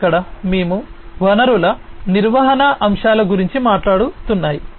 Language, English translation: Telugu, Here we are talking about resource management aspects